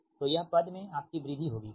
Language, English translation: Hindi, so this term your will increase, right